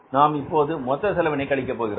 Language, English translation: Tamil, Now we are not subtracting the total cost here